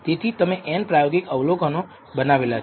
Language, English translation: Gujarati, So, there are n experimental observations you have made